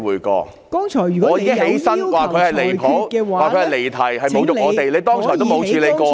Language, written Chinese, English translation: Cantonese, 我已經站起來，說他離譜，說他離題，侮辱我們，你剛才也沒有處理過？, I had already stood up to say that he had crossed the line got off the track and insulted us but you did not deal with it back then